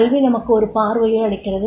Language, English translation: Tamil, Education is give you a vision